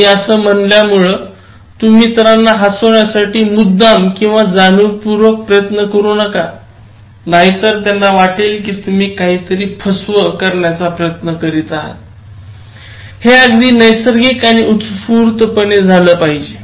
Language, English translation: Marathi, Now, when I say this, so you should not make deliberate attempts to make the other person laugh and then, then they may feel that you are trying to do something fraudulent it has to be very natural and spontaneous